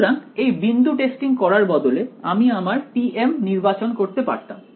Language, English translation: Bengali, So, we could instead of doing this point testing, I could have chosen my t m over here